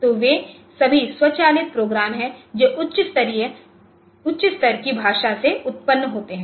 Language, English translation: Hindi, So, they are all automated programs generated from high level language